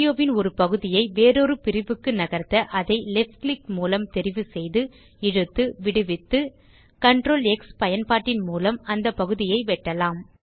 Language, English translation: Tamil, To move one segment of audio to another part, select the part of the audio that needs to be moved by left click, drag and then release, then cut that part by using the keyboard shortcut Ctrl+X